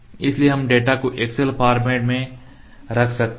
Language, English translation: Hindi, So, we can save the data in excel format ok